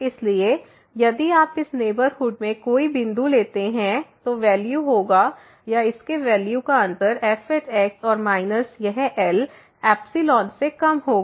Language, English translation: Hindi, So, if you take any point in this neighborhood now, the value will be or the difference of the value of this and minus this will be less than the epsilon